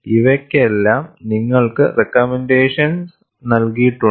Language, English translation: Malayalam, For all these, you have recommendations given